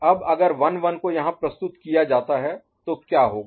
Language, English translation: Hindi, Now what would happen if 1 1 was presented here